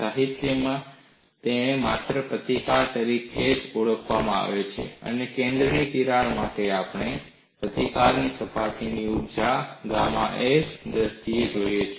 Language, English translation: Gujarati, In the literature, it is called only as resistance, and for the center crack, we have looked at this resistance in terms of the surface energy gamma s